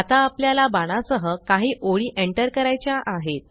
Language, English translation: Marathi, We would now want to enter some more lines with arrows